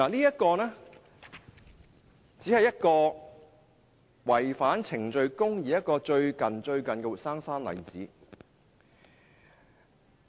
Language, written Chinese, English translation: Cantonese, 這只是最近違反程序公義的一個活生生的例子。, This is only one of the live examples of violation of procedural justice that occurred recently